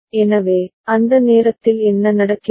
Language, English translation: Tamil, So, what is happening at that time